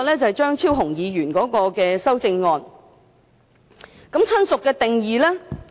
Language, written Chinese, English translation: Cantonese, 張超雄議員提出的修正案關於"親屬"的定義。, Dr Fernando CHEUNGs amendment is about the definition of relative which is set out in Schedule 5 of the Bill